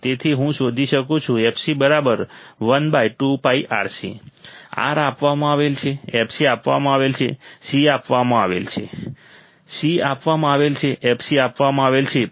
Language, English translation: Gujarati, So, I can find fc as it equals to one upon 2 pi R C; R is given; f c is given; C is given